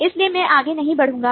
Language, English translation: Hindi, so i would not proceed further